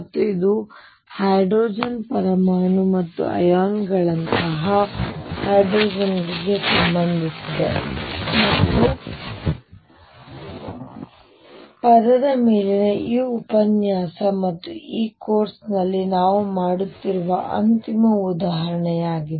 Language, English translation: Kannada, And this was related to hydrogen atom or hydrogen like ions, and this lecture on word and this is the final example that we will be doing in this course